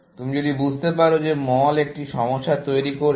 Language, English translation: Bengali, If you figure out that mall is creating a problem, essentially